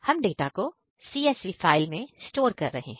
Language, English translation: Hindi, We are storing the data in CSV file